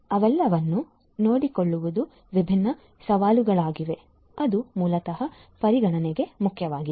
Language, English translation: Kannada, So, taken care of all of them are different different challenges that basically are important for consideration